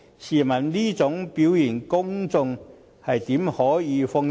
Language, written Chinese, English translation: Cantonese, 試問這種表現，公眾又怎能安心？, How can members of the public rest assured when such performance is delivered?